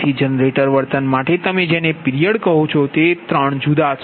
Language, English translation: Gujarati, so generator behavior can be divided in to three different periods